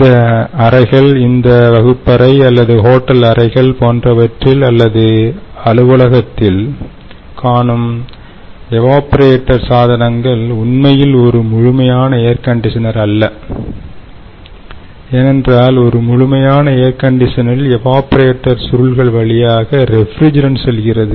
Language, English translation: Tamil, ok, so the evaporator units, the so called coat and coat evaporator units that we see in the rooms of this, lets say, in this classroom or in the hotel rooms, etcetera, or in the office building, is actually not a standalone ac and they where the refrigerant is flowing through the evaporator coil, but it is actually chilled water that is flowing and so it is a heat exchanger